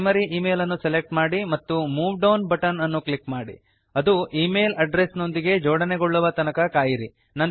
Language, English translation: Kannada, Now, select Primary Email, and click on the Move Down button until it is aligned to E mail Address